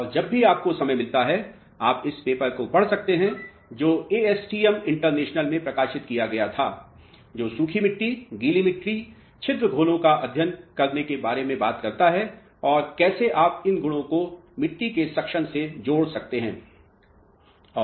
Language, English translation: Hindi, And, whenever you get time you can go through this paper which was published in ASTM international which talks about the philosophy of studying dry soils, wet soils, pore solutions and how you can link these properties to the soil suction